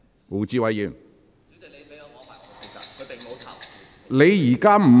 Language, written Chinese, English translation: Cantonese, 胡志偉議員，請提問。, Mr WU Chi - wai please ask your question